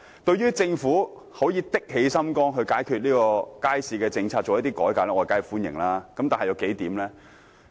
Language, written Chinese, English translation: Cantonese, 對於政府決心解決街市問題並提出改革建議，我當然表示歡迎。, I certainly welcome the Governments determination in solving the problems of markets and introducing reform proposals